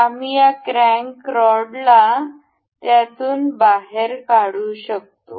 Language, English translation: Marathi, We will take out this crank rod out of it